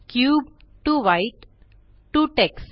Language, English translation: Marathi, Cube to White to Tex